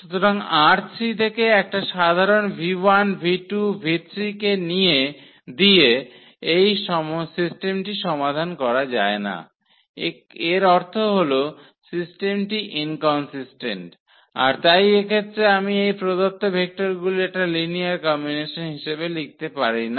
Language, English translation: Bengali, So, this system we cannot solve for general v 1 v 2 v 3 from R 3; that means, the system is inconsistent and hence we cannot write down in this case as a linear combination of these given vectors